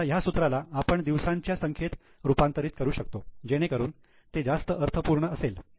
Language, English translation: Marathi, Now the same formula can be also converted into number of days to make it more meaningful